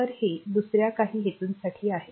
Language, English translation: Marathi, So, this is for this is for some other purpose